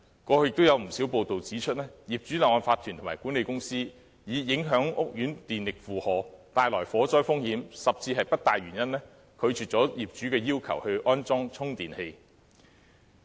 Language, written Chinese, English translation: Cantonese, 過去亦有不少報道指出，業主立案法團和管理公司以影響屋苑電力負荷、帶來火災風險，甚至不帶原因，拒絕業主要求安裝充電器的訴求。, In the past it has been reported at times that some owners corporations and management companies declined owners request to install chargers for reasons of fire risk derived from overloading of electricity in housing estates or even without any reasons